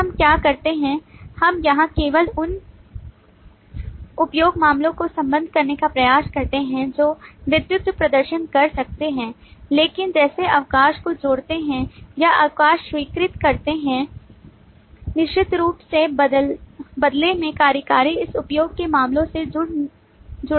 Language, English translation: Hindi, we just here try to associate the use cases that the lead can perform, but like revoke leave or approve leave, certainly the executive in turn cannot be associated with this used cases